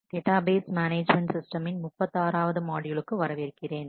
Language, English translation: Tamil, Welcome to module 37 of Database Management Systems